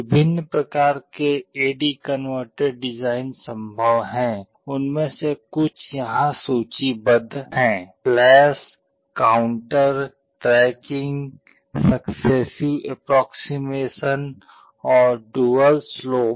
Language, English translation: Hindi, Various types of A/D converter designs are possible, some of them are listed here flash, counter, tracking, successive approximation and dual slope